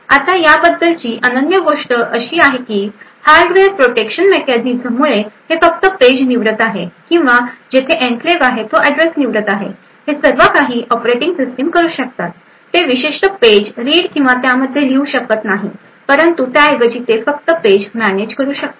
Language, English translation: Marathi, Now the unique thing about this is that due to the hardware protection mechanisms this is just choosing the page or the address where the enclave is present is about all the operating system can do it will not be able to read or write to the contents within that particular page but rather just manage that page